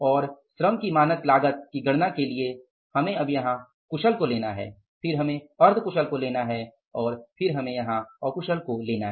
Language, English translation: Hindi, For calculating the labor efficiency variance, again you have to go for the skilled, then for the semi skilled and then for the unskilled, right